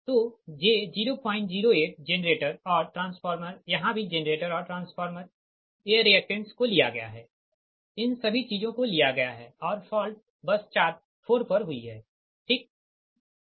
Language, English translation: Hindi, so j zero point, zero, eight j, zero point generator, transformer, here also generated and transformer, these reactants are taken, all these things are taken and fault has occurred at bus four, right